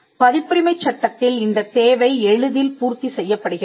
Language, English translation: Tamil, So, this requirement in copyright law is easily satisfied